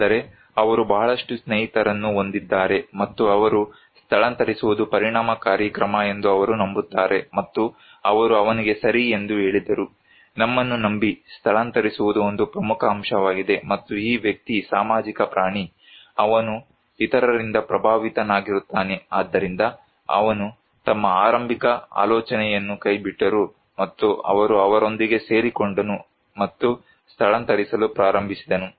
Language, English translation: Kannada, But, it is possible that he has a lot of friends and they believe that, evacuation is an effective measures, and they told him that okay, believe us evacuation is an important component and this guy is a social animal, he is influenced by others so, he dropped his initial idea and he joined them and started to evacuate